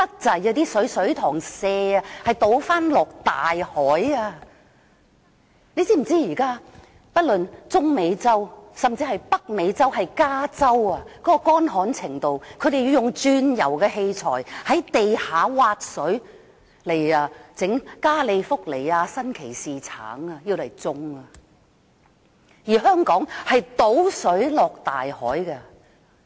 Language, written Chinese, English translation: Cantonese, 政府是否知道現在中美洲以至北美洲的加州都十分乾旱，當地人甚至要用鑽油器材從地底挖水，種植加利福尼亞新奇士橙，而香港卻把食水倒進大海。, Is the Government aware that many places from Central America to California in North America are very dry lately? . People in California are using the equipment for oil drilling to extract water from deep underground to water their Sunkist oranges but Hong Kong is pouring fresh water into the sea